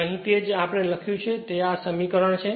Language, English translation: Gujarati, So, that is your what you have written here what we have written here right this is the equation